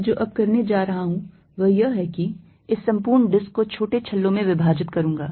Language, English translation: Hindi, What I am going to do now is, divide this entire disc into small rings